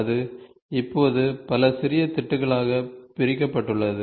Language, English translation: Tamil, So, you see here, it is now divided into several small small small patches